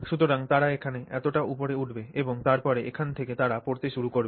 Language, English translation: Bengali, So, they will go up somewhere up here and then from here they will begin to fall